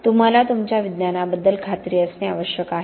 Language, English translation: Marathi, You have to be sure of your science